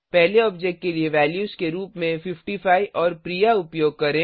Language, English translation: Hindi, Use 55 and Priya as values for first object